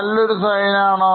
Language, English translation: Malayalam, Is it a good sign